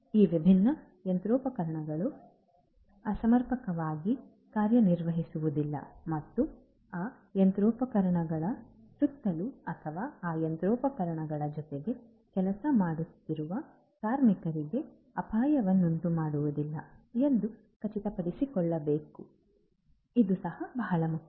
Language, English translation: Kannada, It is also very important to ensure that these different machinery they do not malfunction and cause hazards to the workers that are working surrounding those machinery or along with those machinery so, plant safety is very very important